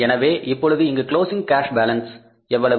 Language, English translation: Tamil, So how much is the closing cash balance now